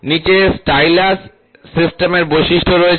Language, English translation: Bengali, The following are the features of the stylus system